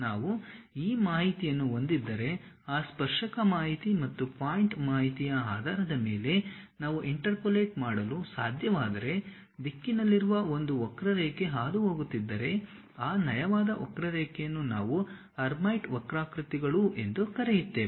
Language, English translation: Kannada, If we have this information, a curve in the direction if we can interpolate based on those tangent information's and point information, a smooth curve if we are passing through that we call that as Hermite curves